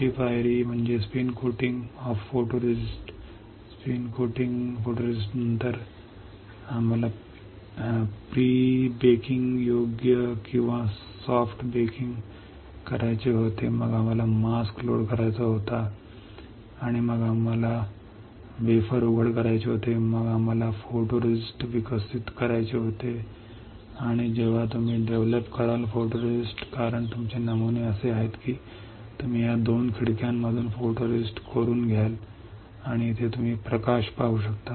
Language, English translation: Marathi, Next step is we spin coat photoresist after spin coating photoresist we had to do prebaking right or soft baking then we have to load the mask, and then we had to expose the wafer, then we had to develop the photoresist, and when you develop the photoresist because your patterns are such that, you will etch the photoresist from these 2 windows this one and this one you can see here light